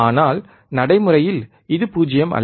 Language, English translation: Tamil, But in reality, this is not 0